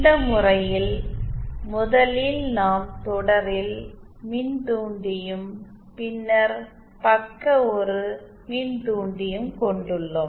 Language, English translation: Tamil, In this case also first we will have inductor in series and then an inductor in shunt